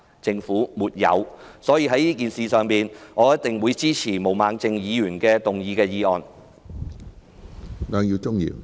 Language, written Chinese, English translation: Cantonese, 就此次事件，我一定支持毛孟靜議員動議的議案。, In respect of this incident I will certainly support the motion moved by Ms Claudia MO